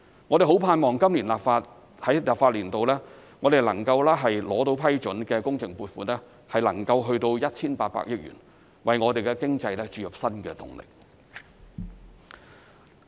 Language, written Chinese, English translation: Cantonese, 我們盼望在本立法年度獲得批准的工程撥款能夠達至 1,800 億元，為我們的經濟注入新動力。, We hope that the project funding to be approved in this legislative session will reach 180 billion so as to provide new impetus to our economy